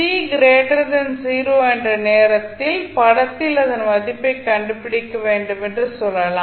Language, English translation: Tamil, Let us say that we need to find the value of it in the figure for time t greater than 0